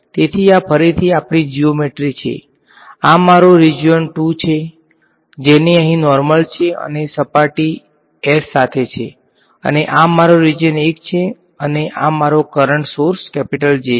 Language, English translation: Gujarati, So, this is our geometry again, this is my region 2 with the normal over here and surface S and this is my region 1 and this is my current source J